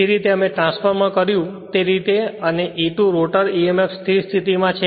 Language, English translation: Gujarati, The way we did transformer same way and E2 is equal to standstill rotor emf right